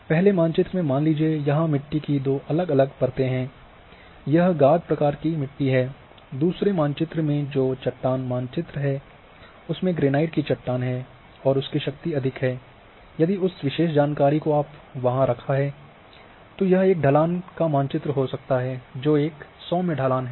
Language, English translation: Hindi, So, map one is having a soil say two thickness that soil type is silt taken as a soil, in map two which is the rock map is having rock a granite and is a strength is high if that attribute information you have kept there or map three here you can have a slope map So, it is telling as a gentle slope